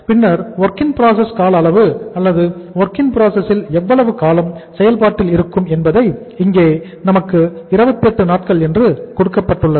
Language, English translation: Tamil, Then WIP duration or the time period for how much time uh work in process remains as the work in process that is also given to us that is Dwip that is 28 days